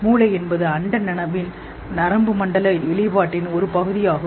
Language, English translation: Tamil, Brain is part of nervous system, expression of cosmic consciousness